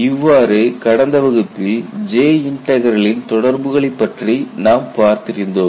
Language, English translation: Tamil, You know in the last class we had looked at a relationship between J integral and CTOD